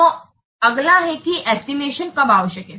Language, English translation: Hindi, So, next is when are the estimates required